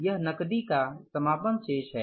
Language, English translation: Hindi, This is the closing balance of the cash